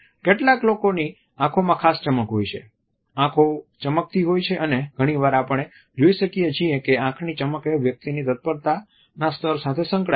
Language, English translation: Gujarati, Some people have a particular sparkle in their eyes; the eyes shine and often we find that the shine or a sparkle is associated with the level of preparedness